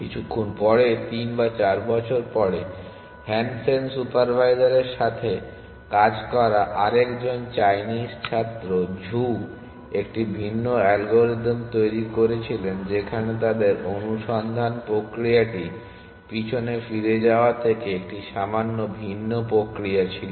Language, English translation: Bengali, A little bit later 3 or 4 years later, another Chinese student Zhou working with Hansen supervisor produced a different algorithm in which they had a slightly different mechanism for search from leaking back